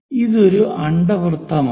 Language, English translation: Malayalam, This is an ellipse